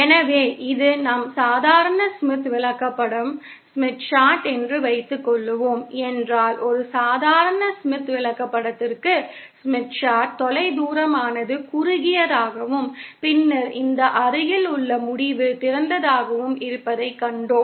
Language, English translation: Tamil, So, if suppose this is our normal Smith chart, then we saw that for a normal Smith chart, the far end was short and then this near end was open